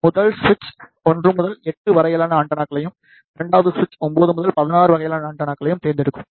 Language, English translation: Tamil, The first switch select the antennas from 1 to 8 and the second switch select the antenna from 9 to 16